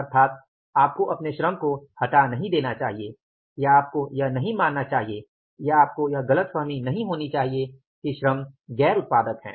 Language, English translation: Hindi, So you should not measure fire your labor or you should not assume or should not mean conclude that the labor is non responsible, non productive